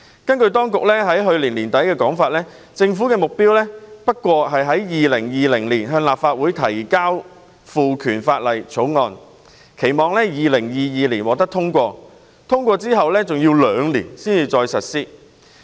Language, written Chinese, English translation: Cantonese, 根據政府當局在去年年底的說法，政府的目標是在2020年向立法會提交賦權法例的草案，期望在2022年獲得通過，再過兩年才可望實施。, As suggested by the Administration at the end of last year the Government aims to submit a bill on the enabling legislation to the Legislative Council in 2020 which hopefully would be passed in 2022 and implemented two years later